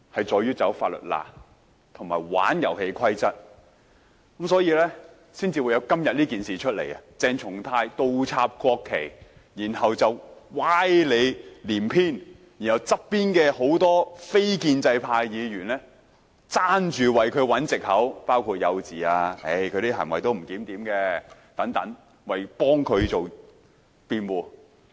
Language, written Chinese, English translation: Cantonese, 在鑽法律空子和玩弄遊戲規則，所以才會發生今次鄭松泰議員倒插國旗事件，然後歪理連篇，而旁邊眾多位非建制派議員都爭相為他找藉口，說他幼稚、他的行為不檢點等，為他辯護。, They are exploiting the loopholes in law and manipulating the rules of the game leading to the incident in which Dr CHENG Chung - tai inverted the national flags . Afterwards he advanced a series of specious arguments while a number of non - establishment Members around him hurried to cover up for him with such excuses as he was childish and his behaviour was disorderly